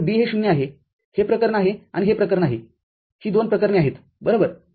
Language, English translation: Marathi, So, B is 0 so, this is the case and, this is the case these are the two cases right